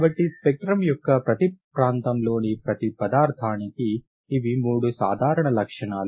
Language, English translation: Telugu, So these are the three common characteristics for every substance in every region of spectrum